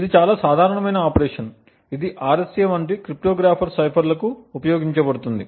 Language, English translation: Telugu, It is a very common operation that is used for cryptographic ciphers like the RSA